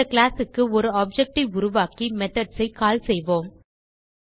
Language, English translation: Tamil, Let us create an object of the class and call the methods